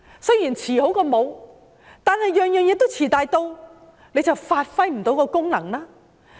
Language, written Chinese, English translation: Cantonese, 雖然"遲好過無"，但每項措施都"遲大到"，便發揮不到功能。, Although late is better than never if every measure is implemented at a very late stage the function cannot be exercised